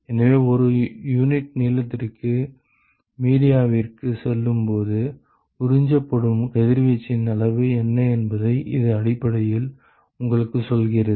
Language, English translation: Tamil, So, it basically tells you, what is the quantity of radiation that is absorbed as you go into the media per unit length